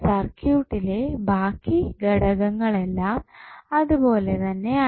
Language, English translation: Malayalam, So, what happens now, the other parameters of the circuits are same